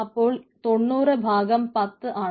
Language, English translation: Malayalam, so ninety by p is ten